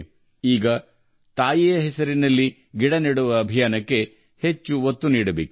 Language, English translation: Kannada, Now we have to lend speed to the campaign of planting trees in the name of mother